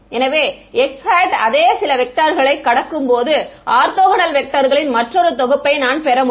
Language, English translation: Tamil, So, x hat cross some same vector all three I will just get it another set of orthogonal vectors